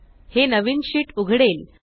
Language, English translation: Marathi, This opens the new sheet